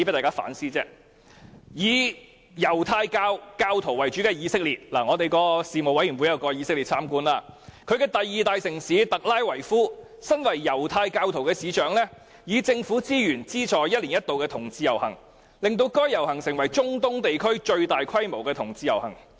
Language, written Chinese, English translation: Cantonese, 以猶太教為主的以色列——我們的事務委員會曾到以色列參觀——其第二大城市特拉維夫，身為猶太教徒的市長，以政府資源資助一年一度的同志遊行，令該遊行成為中東地區最大規模的同志盛事。, In Israel―a Legislative Council Panel had paid a visit to that country―where Judaism is the dominant religion the mayor of Tel Aviv the second biggest city of Israel who is also a Judaist himself funds the annual LGBT parade with government resources and the parade has become the biggest LGBT event in the Middle East region